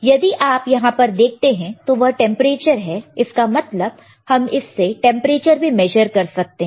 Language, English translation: Hindi, So, if you see here, this is the temperature; that means, we can also measure temperature